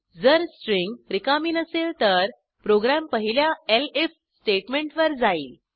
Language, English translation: Marathi, If the string is not empty, the program will move to the first elif statement